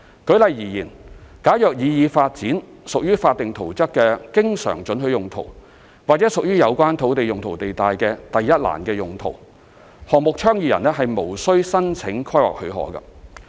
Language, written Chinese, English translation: Cantonese, 舉例而言，假如擬議發展屬法定圖則的經常准許用途，或屬於有關土地用途地帶的"第一欄"用途，項目倡議人無須申請規劃許可。, For example if the proposed development is an always permitted use or a Column 1 use of the relevant land use zone a project proponent is not required to apply for a planning permission